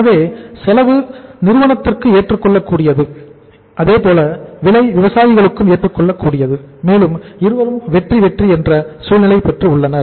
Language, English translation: Tamil, So cost is say acceptable to the company as well as the price is also acceptable to the farmers and both are having the win win situation